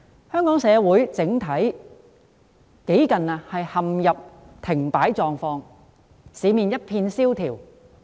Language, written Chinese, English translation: Cantonese, 香港整體社會幾近陷入停擺狀況，市面一片蕭條。, Hong Kong society at large has almost come to a standstill and the market is sluggish and bleak